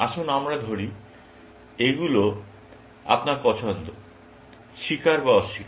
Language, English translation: Bengali, Let us say, these are your choices; confess or deny